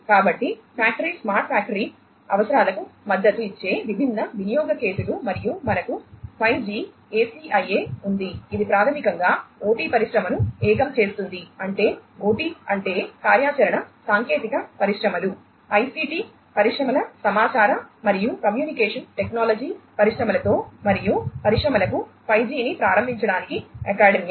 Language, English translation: Telugu, So, different use cases supporting the factory smart factory requirements and then you have the 5G – ACIA, which basically unites the OT industry OT means operational technology industries with the ICT industries information and communication technology industries and academia for enabling 5G for industries